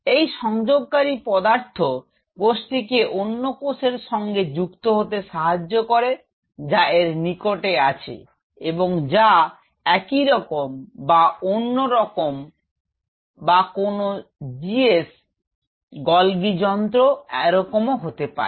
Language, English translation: Bengali, These cementing materials helps it to adhere to another cell and it is vicinity of it is type or another type of or whatever GS s the golgi apparatus likewise